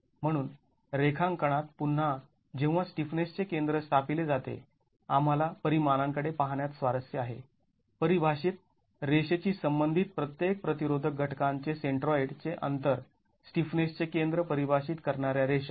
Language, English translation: Marathi, So, in the drawing again, the center of stiffness when established, we are interested in looking at the dimensions, the distances of the centroid of each of the resisting elements with respect to the line defining the lines defining the center of stiffness